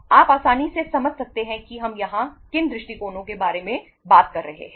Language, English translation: Hindi, You can easily understand what approaches we are talking about here